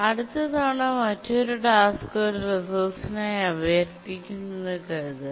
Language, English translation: Malayalam, And let's say next time another task requests a resource